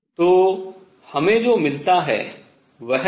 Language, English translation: Hindi, So, what we get is